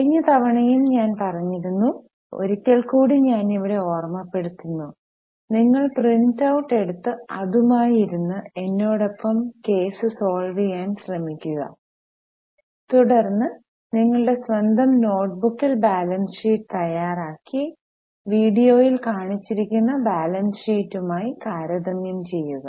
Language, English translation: Malayalam, Last time also I had told but once again I am reminding here it is expected that you sit with the printout, take that particular sheet and try to solve the case along with me, then prepare the balance sheet in your own notebook and check with the balance sheet as shown in the video